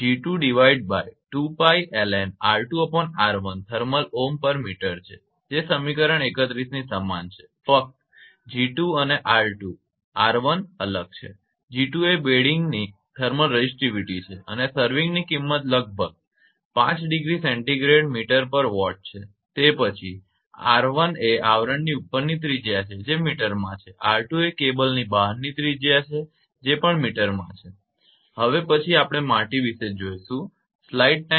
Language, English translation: Gujarati, So, g 2 upon 2 pi l n R 2 upon R 1 thermal ohm per meter same equation 31 analogues to that only g 2 and R 2 R 1 is different, g 2 is the thermal resistivity of bedding and serving value is about 5 degree centigrade meter per watt then R 1 is radius over the sheath that is in meter and capital R 2 is external radius of the cable that is also in meter right next one will be the soil